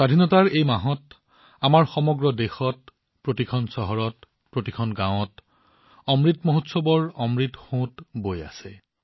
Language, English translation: Assamese, In this month of independence, in our entire country, in every city, every village, the nectar of Amrit Mahotsav is flowing